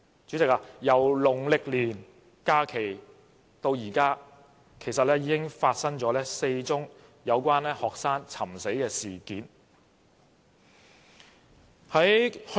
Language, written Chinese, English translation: Cantonese, 主席，在農曆年假期後，已經發生4宗有關學生尋死的事件。, President four cases of student suicide have happened after the Lunar New Year holiday